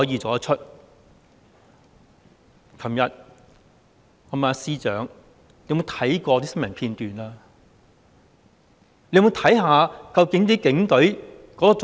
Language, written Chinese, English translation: Cantonese, 昨天，我問司長有否看過新聞片段，有否看看究竟警隊的做法。, Yesterday I asked the Chief Secretary if he had watched the news clips and seen the Police Forces practices